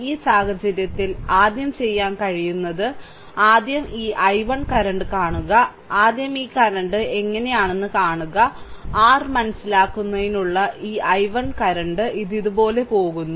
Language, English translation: Malayalam, So, in the then in this case, you are what you can do is the first you see this i 1 current, first you see how things are this current, this i 1 current for your understanding, it is going like this, right